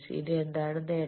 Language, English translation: Malayalam, Now what is the advantage